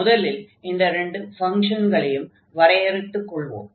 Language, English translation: Tamil, So, first I will define what are those functions